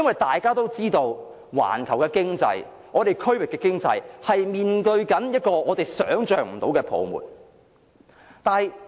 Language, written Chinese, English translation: Cantonese, 大家也知道，環球經濟、區域經濟正面對我們想象不到的泡沫。, Everyone knows that the global and regional economies are facing a bubble that is unimaginable to us